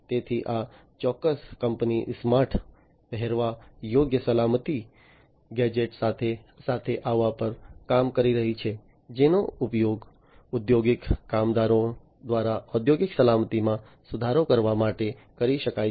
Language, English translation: Gujarati, So, this particular company is working on coming up with smart wearable safety gadgets, which can be used by the industrial workers to improve upon the industrial safety